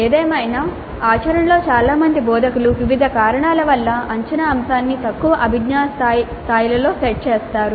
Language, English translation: Telugu, However, in practice most of the instructors do set the assessment item at lower cognitive levels for a variety of reasons